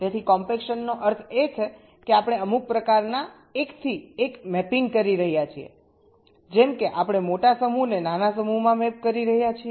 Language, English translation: Gujarati, so we are doing compaction, ok, so, um, compaction means what we are doing, some kind of a many to one mapping, like we are mapping a large set into a small set